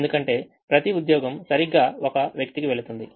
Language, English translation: Telugu, each job goes to one person